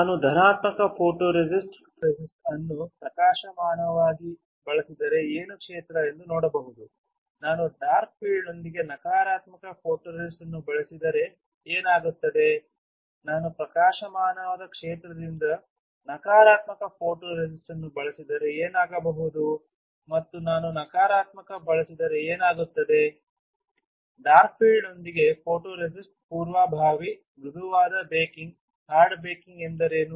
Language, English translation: Kannada, What if I use positive photoresist with bright field, what will happen if I use positive photoresist with dark field, what will happen, if I use negative photoresist with bright field and what will happen if I use negative photoresist with dark field What is prebaking, soft baking hard baking